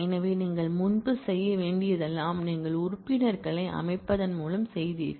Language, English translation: Tamil, So, all that you have to do earlier you did it by set membership